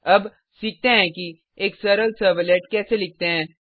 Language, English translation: Hindi, Now, let us learn how to write a simple servlet